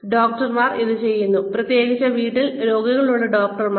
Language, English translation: Malayalam, Doctors do this, especially the doctors who have patients in house